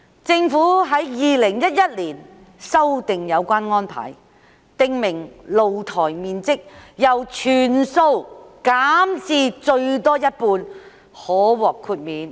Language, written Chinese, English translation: Cantonese, 政府在2011年修訂有關安排，訂明露台面積由全數減至最多一半可獲豁免。, The Government revised the relevant arrangements in 2011 by stipulating that the area of balconies that may be exempted be reduced from 100 % to 50 % at the most